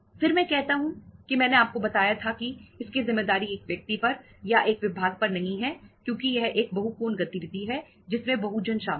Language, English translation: Hindi, Then I say that I I told you that responsibility is not with the one person or the one department because itís a multi angle activity, multiple people are involved